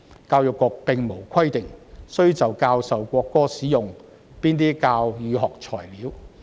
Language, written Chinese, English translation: Cantonese, 教育局並無規定須就教授國歌使用哪些教與學材料。, The Education Bureau does not prescribe the teaching and learning materials to be used for teaching the national anthem